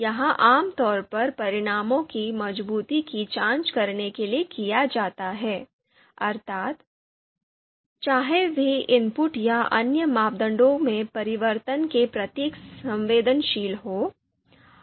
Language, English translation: Hindi, So, this is typically performed to check the robustness of results, you know whether they are sensitive to changes in inputs or other parameters